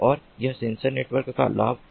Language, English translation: Hindi, it is on sensor networks